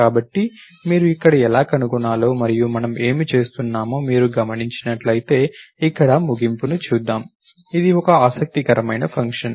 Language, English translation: Telugu, So, if you notice how to find and what we do over here, if you notice here again, let us look at the end over here, it is an interesting function